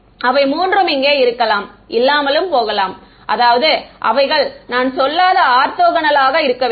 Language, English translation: Tamil, Those three may or may not be, I mean, they should be orthogonal I should not say